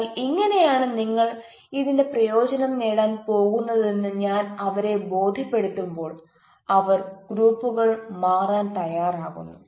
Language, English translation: Malayalam, but when i convince them that this is how you are going to get benefit out of this, then they probably change the groups